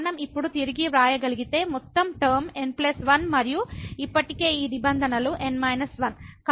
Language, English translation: Telugu, So, if we can re write now the total term plus 1 and already these terms are n minus 1; so plus 1 minus minus 1